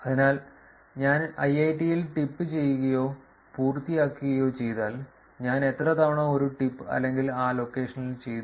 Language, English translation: Malayalam, So, if I do tip or a done in IIIT, how frequently do I actually do a tip or a done in that location